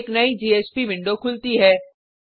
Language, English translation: Hindi, A new JSP window opens